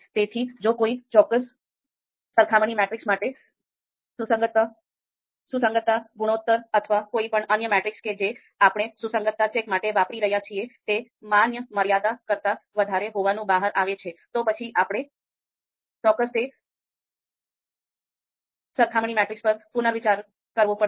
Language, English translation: Gujarati, So if for a particular comparison matrix matrix if the consistency you know ratio or any other metric that we are using for consistency check if that comes out to be you know you know greater than the allowable you know limits, then of course we need to reconsider that particular comparison matrix